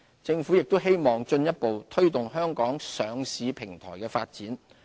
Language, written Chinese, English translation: Cantonese, 政府亦希望進一步推動香港上市平台的發展。, Also we hope to further the development of our listing platform